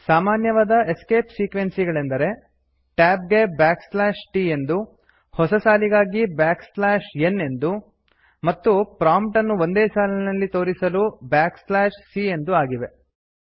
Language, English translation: Kannada, Common escape sequences include \t for tab, \n for new line and \c is a escape sequence which when used causes the prompt to be displayed on the same line